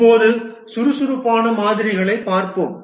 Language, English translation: Tamil, Now let's look at the agile models